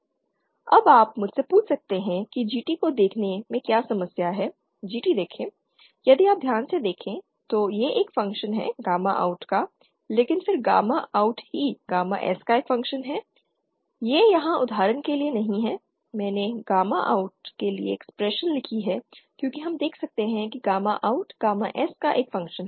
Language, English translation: Hindi, So this GT is given by this expression GP is given by this expression and GA or the available power gain is given by this expression Now you might ask me what is the problem with GT see GT if you notice carefully it has it is a function of this gamma OUT this term But then gamma OUT itself is a function of gamma S isn’t it here for example here I have written the expression for gamma OUT as we can see gamma OUT is a function of gamma S